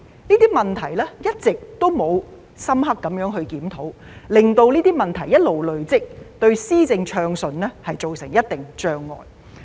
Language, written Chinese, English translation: Cantonese, 這些問題一直沒有得到深入檢討，令這些問題一直累積下去，對政府進行暢順的施政造成一定的障礙。, In the absence of any thorough review these problems have been snowballing thus considerably hindering the smooth governance of the Government